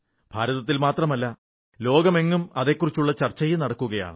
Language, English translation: Malayalam, Not just in India, it is a part of the discourse in the whole world